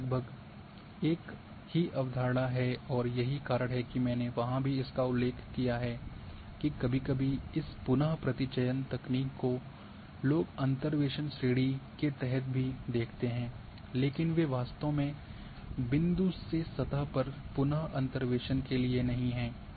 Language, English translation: Hindi, It is almost the same concept and that is why also I mentioned there that sometimes interpolation these re sampling techniques people also put them as a under the interpolation category, but they are not really meant for re interpolations from point to surface